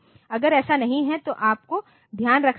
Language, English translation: Hindi, If it is not you have to take care of